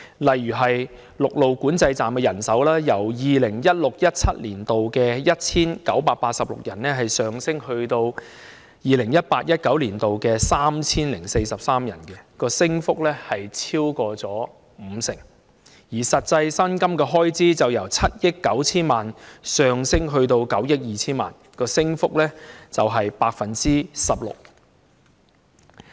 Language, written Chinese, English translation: Cantonese, 例如陸路管制站的人手，就由 2016-2017 年度的 1,986 人，上升至 2018-2019 年度的 3,043 人，升幅超過五成，而實際薪金的開支則由7億 9,000 萬元上升至9億 2,000 萬元，升幅為 16%。, For example the manpower at various land control points has increased by more than 50 % from 1 986 in 2016 - 2017 to 3 043 in 2018 - 2019 . Meanwhile the actual expenditure on remunerations has risen from 790 million to 920 million representing an increase of 16 %